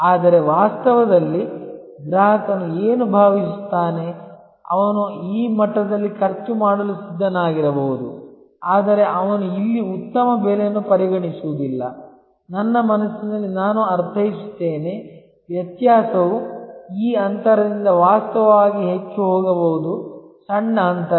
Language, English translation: Kannada, But, in reality, what the customer feels that, he might have been prepare to spend at this level, but he will not considering a good price here, I mean in his mind, the difference can actually go from this gap to actually a much smaller gap